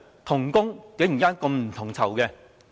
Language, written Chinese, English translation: Cantonese, 同工竟然不同酬。, Different pay for the same work